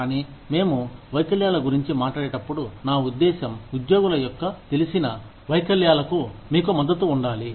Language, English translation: Telugu, But, when we talk about disabilities, i mean, you need to have support, for the known disabilities of employees